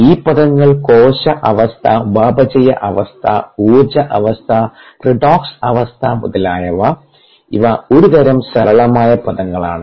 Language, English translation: Malayalam, these terms cellular status, metabolic status, energy status and so on, so forth, redox status and so on, these are kind of soft terms you knowneed to